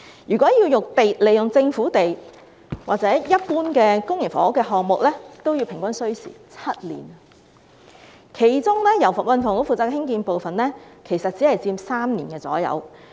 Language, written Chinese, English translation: Cantonese, 如果使用政府用地，一般公營房屋項目平均也需時7年，其中由運輸及房屋局興建的部分其實只佔3年左右。, If a government site was used the average lead time of a typical public housing development was seven years during which the construction part under the charge of the Transport and Housing Bureau would take only about three years